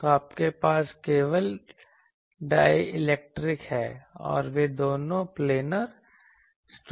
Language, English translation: Hindi, So, you have only dielectric and they both are planar structures